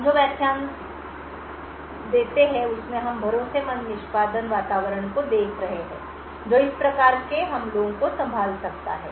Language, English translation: Hindi, In the lectures that follow we will be looking at Trusted Execution Environments which can handle these kinds of attacks